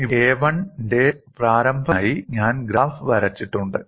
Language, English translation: Malayalam, Here, I have drawn the graph for initial crack length of a 1